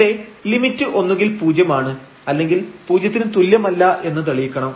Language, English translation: Malayalam, So, certainly it is the limit cannot be equal to equal to 0